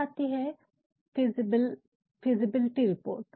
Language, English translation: Hindi, Then there is feasible reports